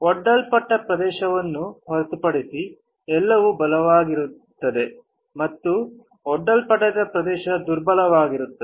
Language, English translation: Kannada, Everything except this area which is exposed will be strong and the area which is not exposed will be weak